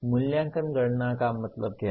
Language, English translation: Hindi, Evaluation count means what